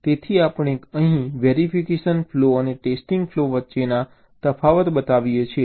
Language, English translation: Gujarati, so here we show the differences between verification flow and the testing flow